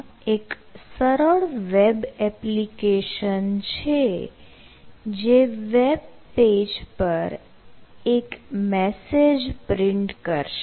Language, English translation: Gujarati, ah, this is a simple web application that will just print a message in the web page